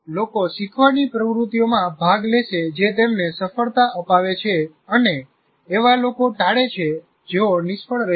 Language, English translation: Gujarati, And see, people will participate in learning activities that have yielded success for them and avoid those that have produced failures